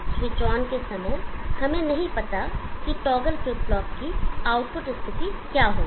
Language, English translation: Hindi, At the time of switch on we do not know what will be the output state of the toggle flip flop